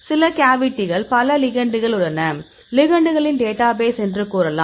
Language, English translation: Tamil, So, you can see the some cavities and here there are many ligands; you can say database of ligands